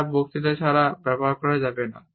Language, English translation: Bengali, They cannot be used without speech